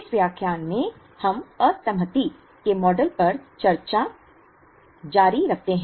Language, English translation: Hindi, In this lecture, we continue the discussion on disaggregation models